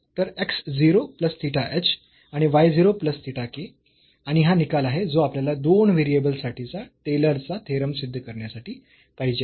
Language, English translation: Marathi, So, x 0 plus theta h and y 0 plus theta k and this is the result which we want to, we want to prove for this Taylor’s theorem for the functions of two variables